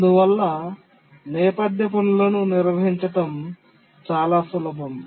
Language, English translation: Telugu, So, handling background tasks is simple